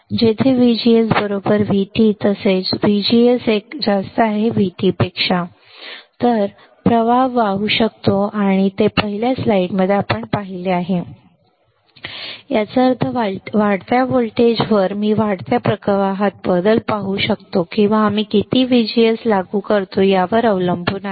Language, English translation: Marathi, Where VGS equals to V T as well as VGS is greater than V T my current can start flowing we have seen this in the first slide right; that means, on increasing voltage, I can see change in increasing current or depending on how much VGS we are applying